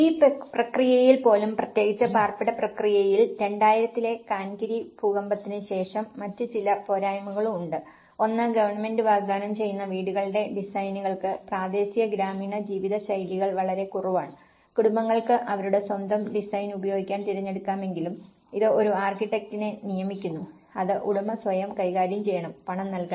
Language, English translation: Malayalam, And even in this process, there are so especially, in the housing process especially, in after the 2000 Cankiri earthquake, there are also some other shortcomings; one is the house designs offered by the government have very little regard to local rural living styles and while families can choose to use their own design, this entails hiring an architect which the owner must pay for in manage themselves